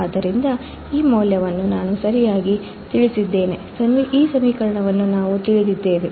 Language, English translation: Kannada, So, we know this value right, we know this equation